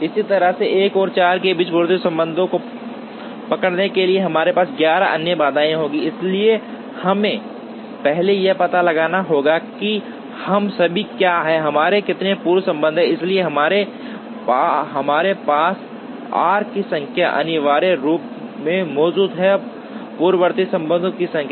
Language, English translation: Hindi, Similarly, to capture the precedence relationship between 1 and 4, we will have 11 other constraints, so we have to first find out what are all the, how many precedence relationships we have, so here we have the number of arcs essentially represent, the number of precedence relationships